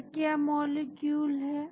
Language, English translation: Hindi, So, what is that molecule